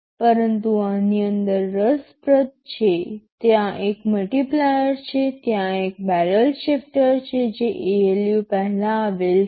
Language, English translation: Gujarati, But inside this is interesting, there is a multiplier, there is a barrel shifter which that are sitting before the ALU